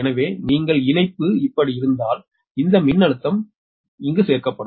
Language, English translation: Tamil, so if you, if connection is like this, then this voltage we will be added right now